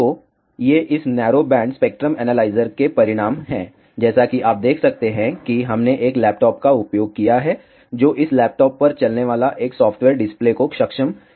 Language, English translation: Hindi, So, these are the results of this narrow band spectrum analyzer, as you can see we have used a laptop a software running on this laptop enables the display